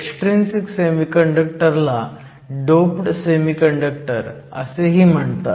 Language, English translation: Marathi, Extrinsic semiconductors are also called doped semiconductors